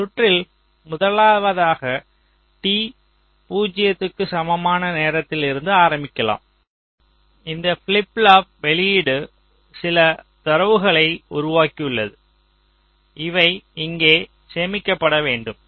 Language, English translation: Tamil, lets say: lets start from time t equal to zero, where we are assuming that this flip pop output has generated some data that has to be stored here